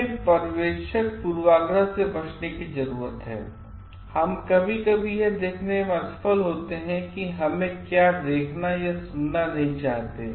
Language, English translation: Hindi, We need to avoid observer bias and that is like we sometimes felt to notice what we do not want to see or expect to hear